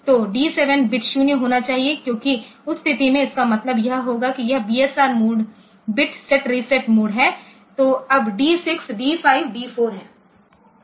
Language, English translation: Hindi, So, the D 7 bit must be 0 then because in that case it will mean that it is a BSR mode bit set reset mode now this D 6, D 5, D 4